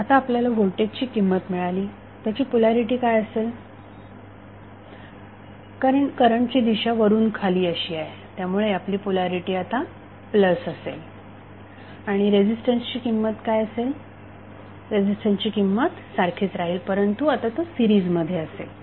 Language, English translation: Marathi, Now, you have got the value of voltage what should be its polarity since, current is down ward so, your polarity will be plus now, what would be the value of resistance, resistance value will remain same but, now it will be in series